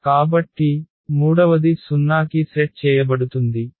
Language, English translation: Telugu, So, the third will be set to 0